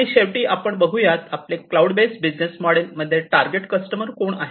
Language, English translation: Marathi, And finally, let us look at who are going to be the target customers in the cloud based business model